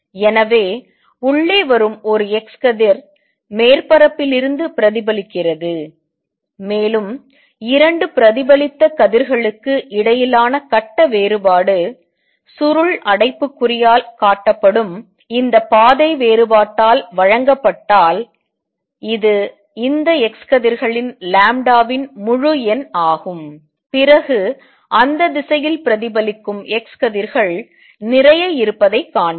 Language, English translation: Tamil, So, an x ray coming in gets reflected from the top surface gets reflected from the bottom surface and if the phase difference between the 2 reflected rays, which is given by this path difference shown by curly bracket is integer multiple of lambda of these x rays, then we would see lot of x rays reflected in that direction